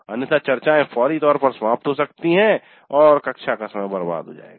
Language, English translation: Hindi, Otherwise the discussions can go off tangentially and the classroom time can get wasted